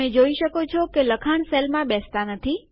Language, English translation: Gujarati, You see that the text doesnt fit into the cell